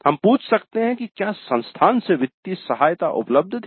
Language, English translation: Hindi, So, we could ask whether financial assistance was available from the institute